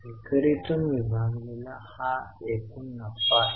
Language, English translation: Marathi, So, sales divided by fixed assets